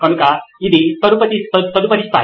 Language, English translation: Telugu, So that’s the next level